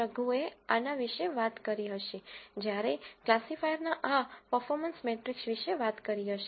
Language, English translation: Gujarati, Raghu would have talked about when he is talking about this performance matrix of a classifier